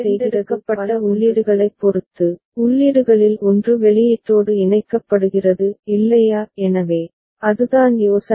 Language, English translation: Tamil, So, depending on select inputs, one of the inputs gets connected to the output is not it; so, that is the idea